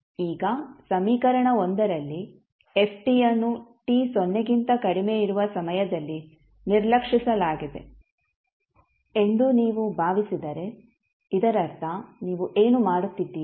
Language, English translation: Kannada, Now, if you assume that in equation 1, if you assume that in equation 1, ft is ignored for time t less than 0, that means what you are doing